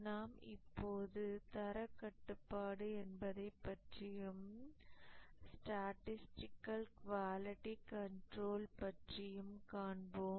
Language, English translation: Tamil, We will see what is quality control and statistical quality control